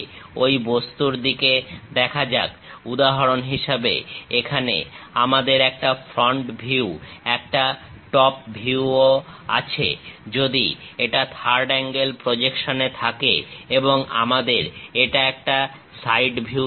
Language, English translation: Bengali, For example, here we have a front view, a top view ah; if it is in third angle projection and a side view we have it